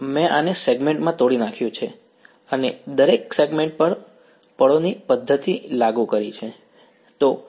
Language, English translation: Gujarati, I broke up this into segments and applied a method of moments over here on each of the segments ok